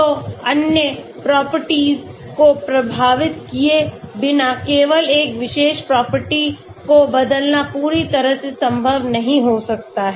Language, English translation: Hindi, So it may be not completely possible to just change one particular property without affecting other properties